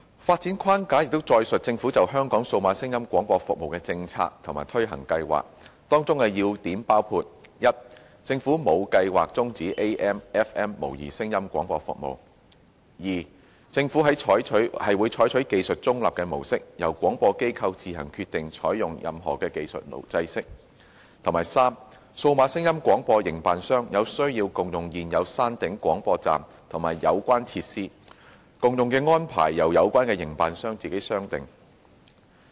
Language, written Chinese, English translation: Cantonese, 發展框架載述政府就香港數碼廣播服務的政策及推行計劃，當中要點包括： 1政府沒有計劃終止 AM/FM 模擬聲音廣播服務； 2政府會採取技術中立的模式，由廣播機構自行決定採用任何技術制式；及3數碼廣播營辦商有需要共用現有山頂廣播站和有關設施，共用安排由有關營辦商自行商定。, The DAB Framework sets out the Governments policy and the implementation plan for DAB services in Hong Kong . The key points of the DAB Framework include 1 there is no plan for switching off analogue AMFM sound broadcasting services; 2 the Government will adopt a technology - neutral approach and it will be for the broadcasters to decide on the technical standards to be adopted; and 3 sharing of existing hilltop broadcasting sites and relevant facilities is necessary and will be subject to commercial agreement among the relevant operators